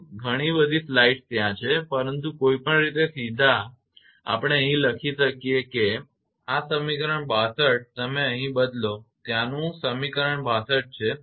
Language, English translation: Gujarati, Till so many slides are there, but anyway directly we can write here it is 62 this equation you substitute there equation 62